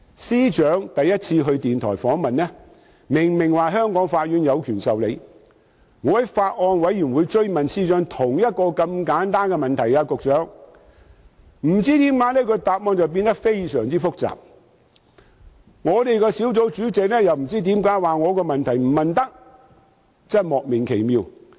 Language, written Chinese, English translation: Cantonese, 司長首次接受電台訪問時，明明說過香港法院有權審理，但當我在法案委員會追問司長同一個簡單的問題時，其答覆卻不知為何變得相當複雜，而小組委員會主席又指我的問題不可提出，真的莫名其妙。, The Secretary clearly stated that Hong Kong courts would have jurisdiction over the matter when first interviewed by the radio . But when I asked the Secretary the same simple question in the Bills Committee his reply became quite complicated and I was told by the Chairman that my question was not allowed which really beat me